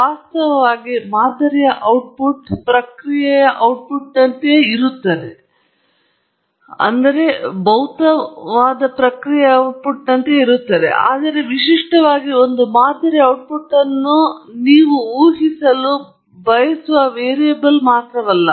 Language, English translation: Kannada, In fact, typically, the output of a model is same as the output of the process, but typically the output of a model is nothing but the variable that you want to predict